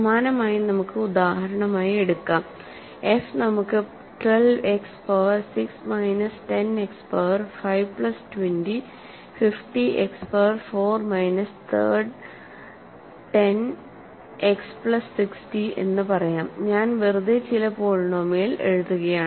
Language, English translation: Malayalam, So, similarly we can take for example, f as let us say 12 X power 6 minus 10 X power 5 plus let us say 20, 50 X power 4 minus third 10 X plus 60, I am just arbitrarily writing some polynomial